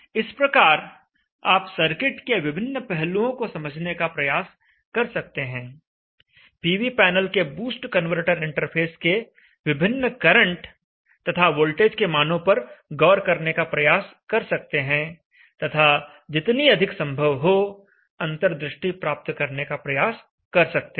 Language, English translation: Hindi, So in this way you can try to understand the various aspects of the circuit, try to observe the various currents and the voltages of this boost converter interface to the PV panel, and try to get a much insight as possible